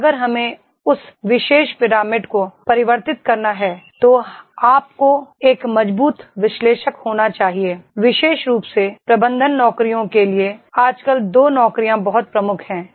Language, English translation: Hindi, If we have to convert that particular pyramid then you should be a strong analyst, especially for the management jobs nowadays the two jobs are very prominent